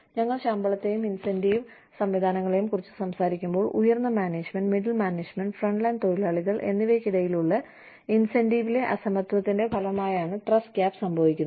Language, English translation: Malayalam, You know, when we talk about, pay and incentive systems, trust gap occurs, as a result of disparity in the incentives, between top management, middle management, and frontline workers